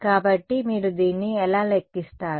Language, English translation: Telugu, So, how do you calculate this